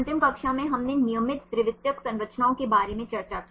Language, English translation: Hindi, In the last class we discussed about regular secondary structures